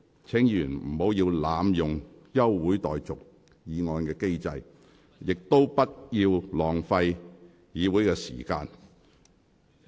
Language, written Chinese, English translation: Cantonese, 請議員不要濫用休會待續議案的機制，亦不要浪費議會的時間。, Please do not abuse the mechanism of moving motions for adjournment and waste the meeting time of this Council